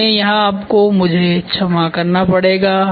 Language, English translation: Hindi, So, here I will have to you have to pardon me